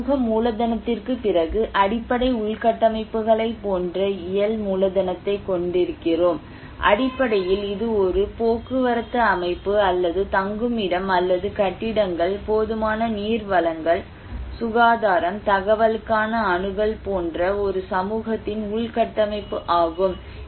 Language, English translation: Tamil, And then after social capital, we have physical capital like basic infrastructures and basically it is the infrastructure of a community like a transport system or shelter or buildings, adequate water supply, sanitation, access to information